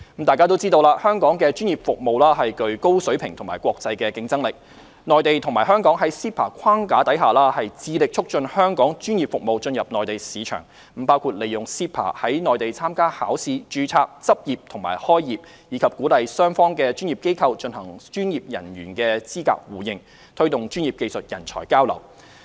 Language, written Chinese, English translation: Cantonese, 眾所周知，香港的專業服務具高水平和國際競爭力，內地和香港在 CEPA 框架下致力促進香港專業服務進入內地市場，包括利用 CEPA 在內地參加考試、註冊、執業和開業，以及鼓勵雙方的專業機構進行專業人員資格互認，推動專業技術人才交流。, As we all know Hong Kongs professional services have high standards and are internationally competitive . Under the framework of CEPA the Mainland and Hong Kong are committed to promoting the entry of Hong Kong professional services into the Mainland market which include making use of CEPA to take examinations register practise and set up business on the Mainland encouraging professional organizations on both sides to mutually recognize professional qualifications and promoting the exchange of professional and technical talents